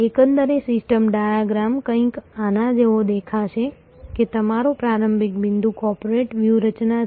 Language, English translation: Gujarati, The overall system diagram will look something like this, that your starting point is corporates strategy